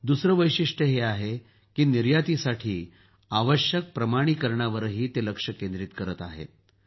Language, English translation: Marathi, The second feature is that they are also focusing on various certifications required for exports